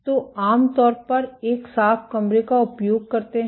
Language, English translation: Hindi, So, you use typically a cleanroom